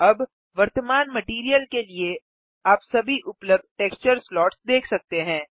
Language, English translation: Hindi, Now you can see all the texture slots available for the current material